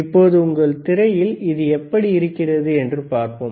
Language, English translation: Tamil, Now let us see how it looks on your system here